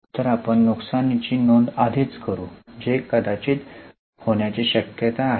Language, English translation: Marathi, So, we will already record a loss which is likely to happen